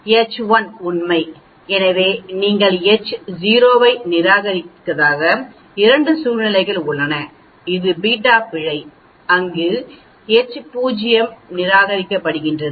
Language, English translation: Tamil, H 1 is true, so you have 2 situations you do not reject H0 that is beta error where as you reject H0